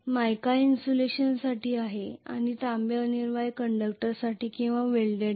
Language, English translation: Marathi, Mica is meant for insulation and the copper is essentially braced or welded with the conductors